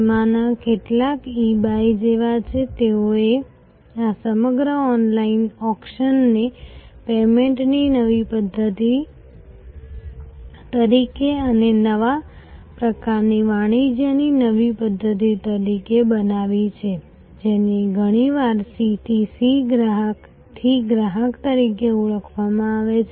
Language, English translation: Gujarati, Some of them are like eBay, they created this entire online auction as a new method of payment and as a new method of a new type of commerce, which is often called C to C Customer to Customer